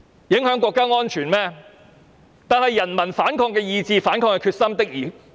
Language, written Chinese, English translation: Cantonese, 然而，人民反抗的意志和決心確實很強。, Nonetheless peoples will and determination to rise against the Government is very strong